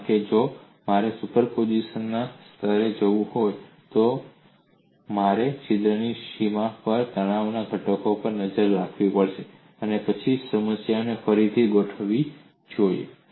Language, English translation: Gujarati, My focus is only on that because if I have to go to the level of superposition, I must look at the stress components on the boundary of the hole and then recast the problem